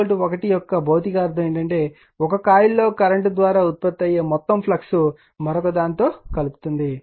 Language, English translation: Telugu, Physical meaning of K 1 is that, all the flux produced by the current in one of the coil links the other right